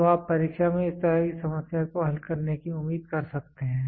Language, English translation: Hindi, So, you can expect problems like this in the examination to be solved